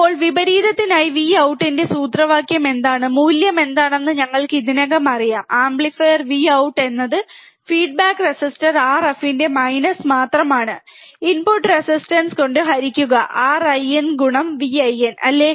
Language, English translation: Malayalam, Now we already know what is the value of, what is the formula for V out, for inverting amplifier V out is nothing but minus of feedback resistor R f, divide by input resistance R in into input voltage V in, right